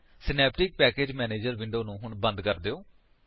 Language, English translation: Punjabi, Close the Synaptic Package Manager window